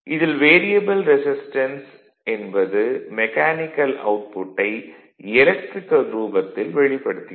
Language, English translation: Tamil, In which the variable resistance represents the mechanical output in electrical form; that means, your what you call